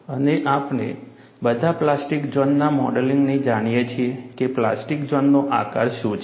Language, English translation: Gujarati, And we all know, from the plastic zone modeling, what is the shape of the plastic zone